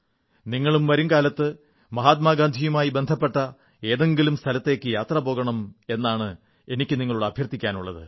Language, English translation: Malayalam, I sincerely urge you to visit at least one place associated with Mahatma Gandhi in the days to come